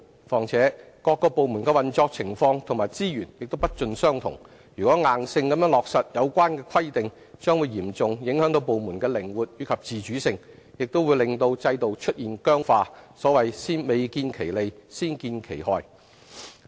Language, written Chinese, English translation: Cantonese, 況且，各個部門的運作情況和資源也不盡相同，如硬性落實有關規定，將嚴重影響部門的靈活及自主性，亦令制度出現僵化，所謂未見其利，先見其害。, Moreover given that the operation and resources of various departments vary rigid application of the relevant requirements will seriously affect the flexibility and autonomy of the departments and render the system inflexible thus leading to bad consequences before bringing any benefits